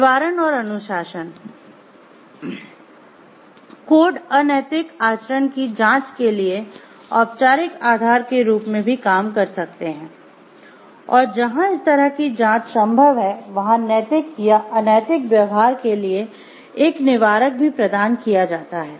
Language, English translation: Hindi, Deterrence and discipline: codes can also serve as the formal basis for investigating unethical conduct, where a such investigation is possible are deterrent for moral immoral behavior is thereby provided